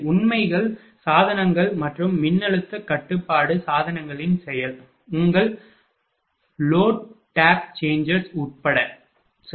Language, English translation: Tamil, Including facts devices of course and the action of voltage control devices, such as your under load tap changers, right